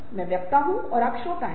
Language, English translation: Hindi, i am the speaker and you are the listener